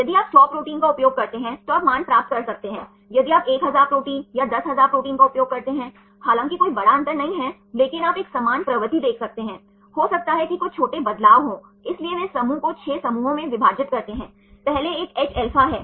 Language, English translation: Hindi, If you use 100 proteins you can derive the values if you use 1000 proteins or 10000 proteins right although there is not major difference, but you can see a similar trend right maybe some minor changes hence they divide this group into 6 groups; first one is Hα